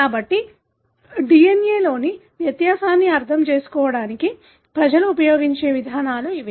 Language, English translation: Telugu, So, these are the approaches people use to understand the difference in the DNA